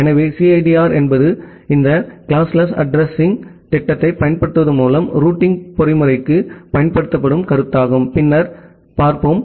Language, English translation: Tamil, So, the CIDR is the concept used for the routing mechanism by utilizing this classless addressing scheme that we will look later on